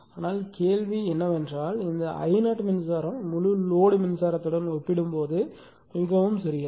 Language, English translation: Tamil, But question is that this I 0 current actually this I 0 current is very small compared to the full load current, right